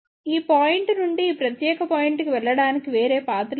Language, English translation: Telugu, There is no other path to go from this point to this particular point